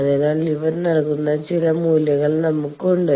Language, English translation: Malayalam, So, we have some value that is given by these